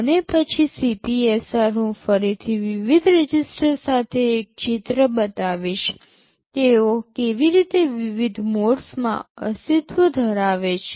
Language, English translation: Gujarati, I shall show a picture later with the different registers, how they exist in different modes